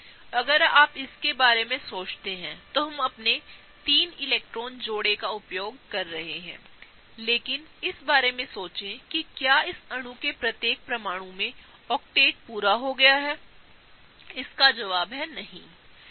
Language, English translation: Hindi, And if you think about it, we are done with using our three electron pairs, but think about whether each and every atom in this molecule has the octet complete, the answer is no